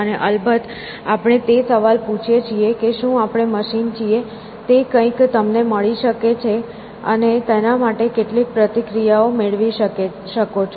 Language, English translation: Gujarati, And of course, we ask the question that, are we machines; that is something you can found over and some reactions to that